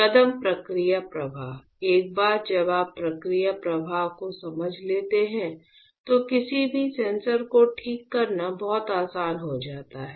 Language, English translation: Hindi, Steps process flow; once you understand process flow it becomes very very easy to fabricate any sensor ok